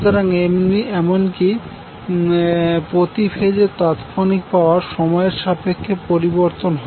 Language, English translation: Bengali, So even your instantaneous power of each phase will change with respect to time